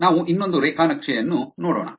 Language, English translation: Kannada, Let us look at another graph